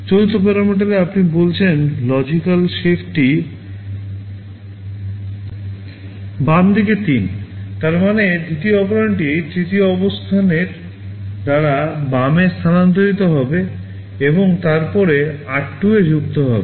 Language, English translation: Bengali, In the fourth parameter you say logical shift left by 3; that means the second operand is shifted left by three positions and then added to r2